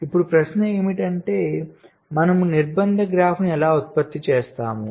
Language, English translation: Telugu, now the question is: how do we generate the constraint graph